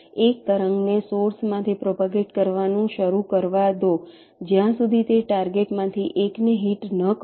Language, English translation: Gujarati, let a wave start propagating from the source till it hits one of the targets